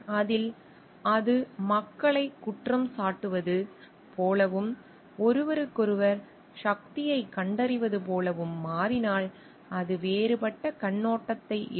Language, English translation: Tamil, But if that takes turn into like blaming people and like finding out force with each other, then it takes a different perspective